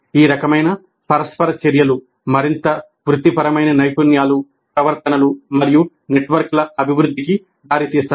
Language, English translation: Telugu, All these kinds of interactions, they lead to the development of further professional skills, behaviors and networks